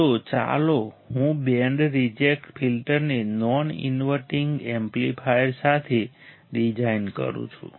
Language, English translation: Gujarati, So, let me design band reject filter with a non inverting amplifier